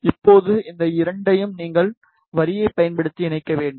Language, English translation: Tamil, Now, you need to connect these two using the line